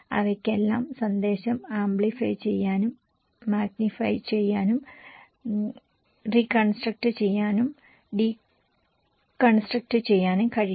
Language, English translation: Malayalam, And source can because they can all amplify, magnify, reconstruct and deconstruct the message